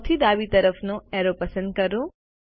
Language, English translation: Gujarati, Lets select the left most arrow